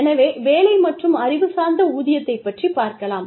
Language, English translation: Tamil, So, that is, the job versus or knowledge based pay